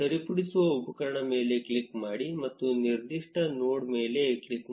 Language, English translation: Kannada, Click on the edit tool and then click on a specific node